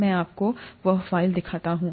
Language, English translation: Hindi, Let me show you that file